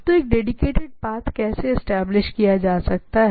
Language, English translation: Hindi, So, how I how a dedicated path can be established